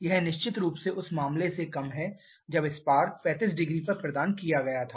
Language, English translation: Hindi, This is definitely lower than the case when the spark was provided at 35 degree